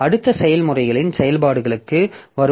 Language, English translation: Tamil, Next coming to the operations on processes